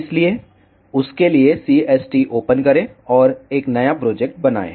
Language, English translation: Hindi, So, for that open CST, and create a new project